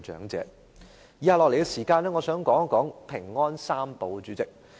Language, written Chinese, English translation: Cantonese, 我想在以下的時間說說"平安三寶"。, In the following I wish to talk about the three keys for peace of mind